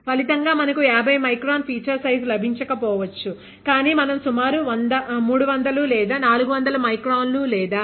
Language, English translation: Telugu, As a result we might not get up to 100 micron, 50 micron feature size but we can work with around 300 400 microns or 0